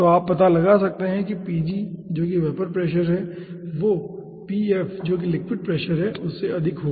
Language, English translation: Hindi, so you can find out pg, which is the vapor pressure, is higher than the pf, which is the liquid pressure